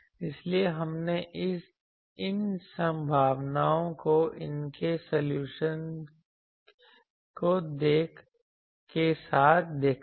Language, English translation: Hindi, So, we have seen these potentials their solutions